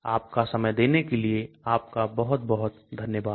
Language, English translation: Hindi, Thank you very much for your time